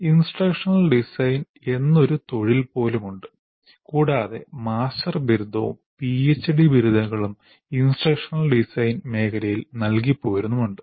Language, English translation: Malayalam, So there is even a profession called instructional designer and there are even master's degrees and PhD degrees given in the area of instructional design